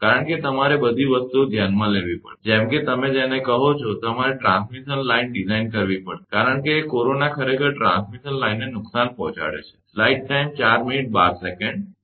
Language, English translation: Gujarati, Because you have to consider all set of things, such that your what you call that, your you have to design the transmission line, because corona actually causing transmission line losses